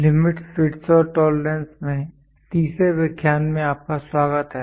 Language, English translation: Hindi, Welcome back to third lecture in Limits, Fits and Tolerances